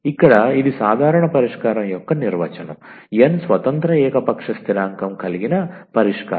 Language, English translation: Telugu, So, here that is exactly the definition of the general solution, the solution containing n independent arbitrary constant